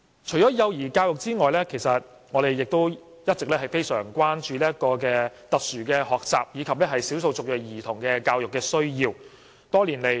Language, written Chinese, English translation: Cantonese, 除了幼兒教育之外，我們亦一直非常關注特殊學習及少數族裔兒童的教育需要。, In addition to early childhood education we have all along shown great concern about the educational needs of children with special educational needs SEN and ethnic minority children